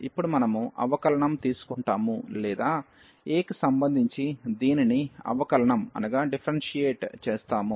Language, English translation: Telugu, And now we will take the derivative or we will differentiate this with respect to a